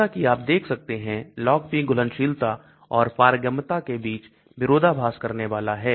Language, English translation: Hindi, As you can see Log P is going to be contradicting between solubility and permeability